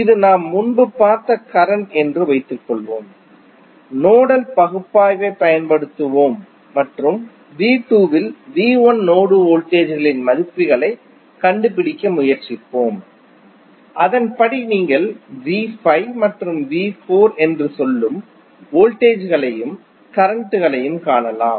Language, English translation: Tamil, Let us assume that this is the circuit which we saw previously and we will apply the nodal analysis and try to find out the values of node voltages V 1 in V 2 and then accordingly you can find the voltages and currents for say that is V 5 and V 4 and the currents flowing in the branches